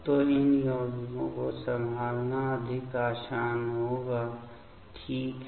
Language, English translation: Hindi, So, handling of these compounds will be much more easier ok